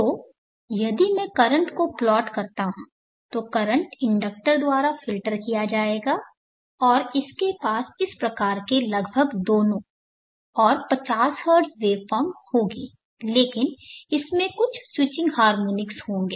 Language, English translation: Hindi, So if I plot the current, the current will be filtered because the inductor and it will have this kind of almost both and 50 Hertz waveform, but it will have some switching harmonics